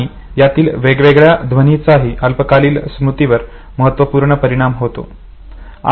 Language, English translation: Marathi, Now two things are very interesting in short term memory